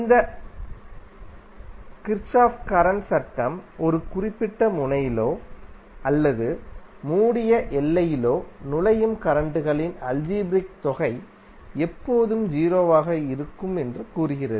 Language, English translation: Tamil, And this Kirchhoff’s current law states that the algebraic sum of currents entering in a particular node or in a closed boundary will always be 0